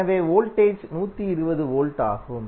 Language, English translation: Tamil, So Voltage is 120 volt